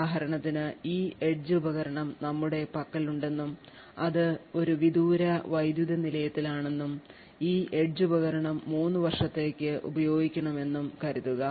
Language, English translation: Malayalam, For example, let us say that we have this edge device which is a put in a remote power plant and this edge device is expected to be used for say let us say for 3 years